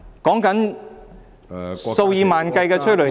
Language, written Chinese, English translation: Cantonese, 說的是數以萬計的催淚彈......, I am talking about tens of thousands of tear gas rounds